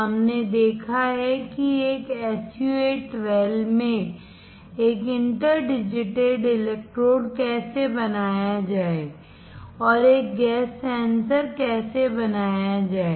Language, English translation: Hindi, We have seen how to fabricate an inter digitated electrode in an SU 8 well and how to fabricate a gas sensor